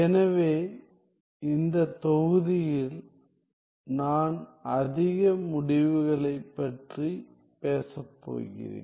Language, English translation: Tamil, So, then in this module, I am going to talk about, more results